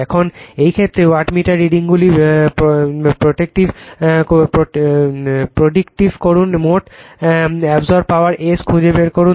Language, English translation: Bengali, Now, in this case , you are predict the wattmeter readings find the total power absorbed rights